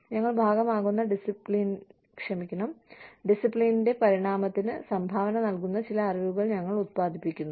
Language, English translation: Malayalam, And, we produce some knowledge, that contributes to the evolution of the discipline, we are a part of